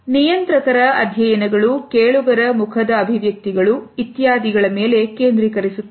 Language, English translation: Kannada, The studies of regulators focus on the facial expressions, etcetera in the listener